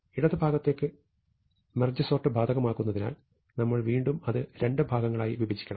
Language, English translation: Malayalam, So, having applying merge sort to the left part, you must again break it up into two parts